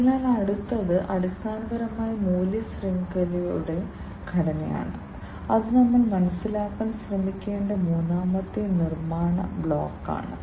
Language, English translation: Malayalam, So, next one is basically the value chain structure that is the third building block that we should try to understand